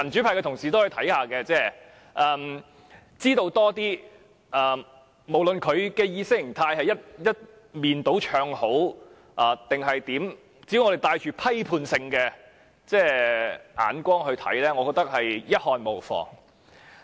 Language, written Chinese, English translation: Cantonese, 無論該等節目的意識形態是一面倒唱好還是怎樣，只要我們帶批判性眼光，我認為一看無妨。, Regardless of whether such programmes always sing the praises of it ideologically I think they might as well watch them as long as they can remain critical